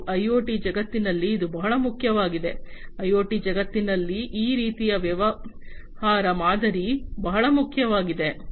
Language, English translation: Kannada, And this is very important in the you know IoT world this kind of business model is very important in the IoT world